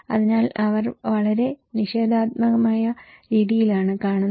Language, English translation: Malayalam, So, they are looking in a very negative way